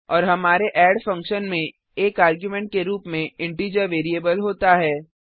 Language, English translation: Hindi, And our add function has integer variable as an argument